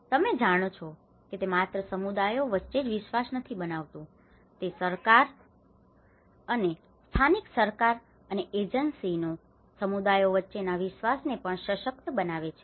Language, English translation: Gujarati, You know it builds trust not only between the communities, it also empowers trust between the governments and the local governments and the agencies and the communities